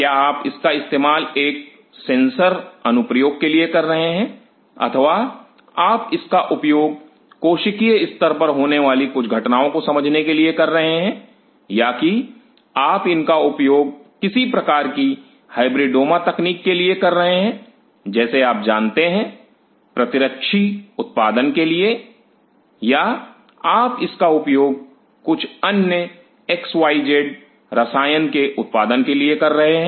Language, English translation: Hindi, Are you using it for a specific sensor application or you are using it for understanding certain event happening at the cellular level or you are using it for some kind of hybridoma technique like you know antibody production or you are using it for production of some other x, y, z chemical